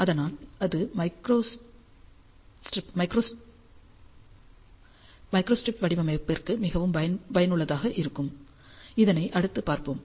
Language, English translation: Tamil, And hence it is very useful for micro strip design which we are going to cover next